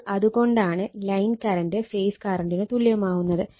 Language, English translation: Malayalam, So, that is why this line current is equal to your phase current both are same right